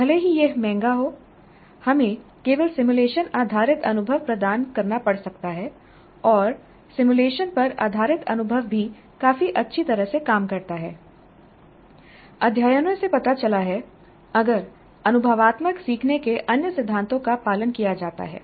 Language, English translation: Hindi, We already saw the case of risky environment even if it is expensive we may have to provide only simulation based experience and experience based on simulation also works reasonably well studies have shown if other principles of experiential learning are followed